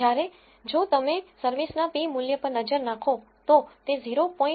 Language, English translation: Gujarati, Whereas, if you look at the p value of service, it is 0